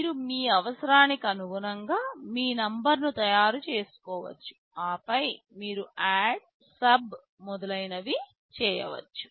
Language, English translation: Telugu, You can make your number as per your requirement and then you can do ADD, SUB, etc